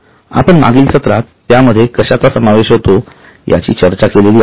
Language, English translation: Marathi, In our last session we have discussed what does it consist of